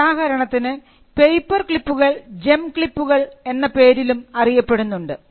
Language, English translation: Malayalam, For instance; paperclips were also known as gem clips